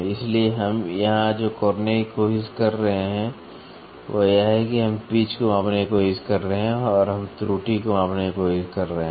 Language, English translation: Hindi, So, here what we are trying to do is we are trying to measure the pitch and we are trying to quantify the error